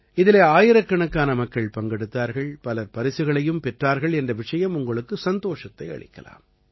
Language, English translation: Tamil, You wouldbe pleased to know that thousands of people participated in it and many people also won prizes